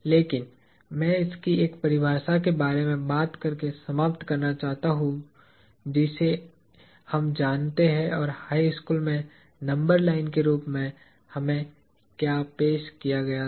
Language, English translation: Hindi, But, I want to close by talking about a definition of this to what we know or what we were introduced to in high school as the number line